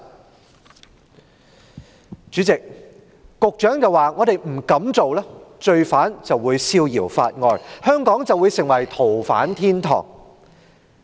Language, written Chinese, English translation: Cantonese, 代理主席，局長表示，如果我們不這樣做，罪犯便會逍遙法外，香港便會成為逃犯天堂。, Deputy President the Secretary said that if we failed to do so the offender would escape the long arm of the law and Hong Kong would become a haven for fugitive offenders